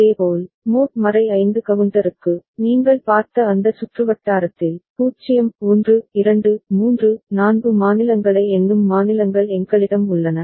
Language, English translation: Tamil, Similarly, for mod 5 counter, we have the states counting states 0 1 2 3 4 in our, in that circuit that you have seen